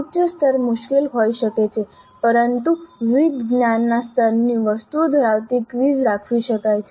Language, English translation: Gujarati, Higher levels may be difficult but it is possible to have a quiz containing items of different cognitive levels